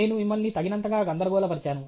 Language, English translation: Telugu, I have confused you enough okay